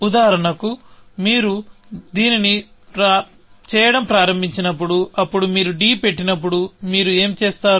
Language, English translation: Telugu, For example, when you start to do this, then when you put d; what you do